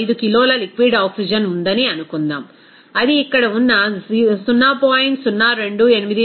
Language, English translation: Telugu, 5 kg of liquid oxygen, which is to be vaporized in that tank of 0